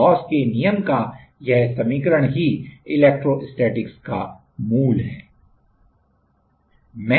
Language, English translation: Hindi, This equation of Gauss law is a like basics of electrostatics